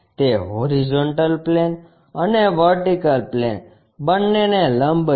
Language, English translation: Gujarati, It is perpendicular to both horizontal plane and vertical plane